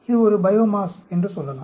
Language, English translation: Tamil, Say, it is a biomass